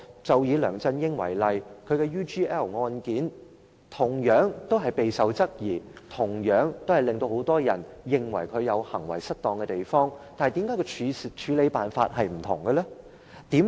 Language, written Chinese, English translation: Cantonese, 就以梁振英為例，他的 UGL 案件同樣備受質疑，同樣令很多人認為他行為失當，但為何處理辦法有所分別？, Take LEUNG Chun - ying as an example . In the UGL case similar doubts have been raised against him and many people also think that he has committed the offence of misconduct but how come this case is handled differently?